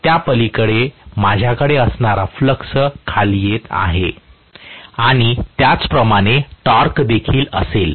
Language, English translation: Marathi, Beyond that I am going to have the flux actually coming down and so, also will be the torque